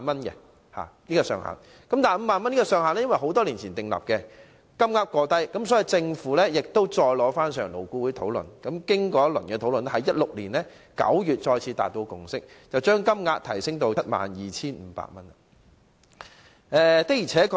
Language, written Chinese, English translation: Cantonese, 由於此上限已是在多年前訂立，金額過低，所以政府再次提交建議予勞顧會討論，經過一輪討論後，在2016年9月再次達致共識，把上限提升至 72,500 元。, Since the ceiling was set years ago and the amount was too low the Government submitted another proposal to LAB for discussion and after a round of discussion a consensus was again reached in September 2016 to raise the ceiling to 72,500